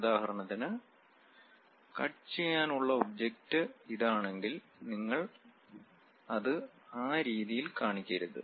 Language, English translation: Malayalam, For example, if the object is this; you want to cut, you do not just show it in that way